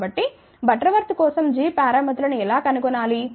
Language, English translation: Telugu, So, how to find out the g parameters for butterworth